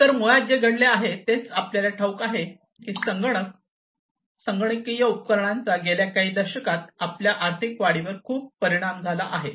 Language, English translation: Marathi, So, basically what has happened is as we know that computers, computational devices etcetera has had a huge impact in our economic growth in the last few decades